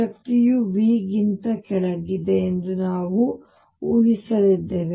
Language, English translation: Kannada, We are going to assume that the energy lies below V